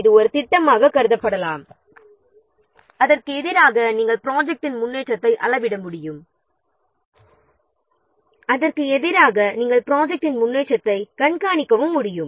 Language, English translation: Tamil, So, this can be treated as a plan against which you can measure the progress of the project against which you can monitor the progress of the project